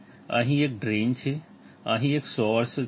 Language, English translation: Gujarati, Here there is a drain, here there is a source